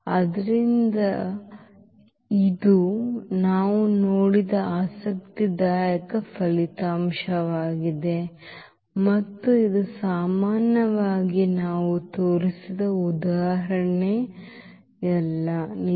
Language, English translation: Kannada, So, that is interesting result we have seen and that is true in general not for the example we have just shown